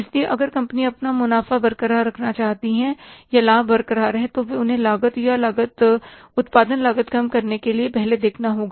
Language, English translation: Hindi, So, if the companies want to keep their profits intact or the margins intact, they have first to look for reducing the cost or the cost of production, they cannot think of increasing the price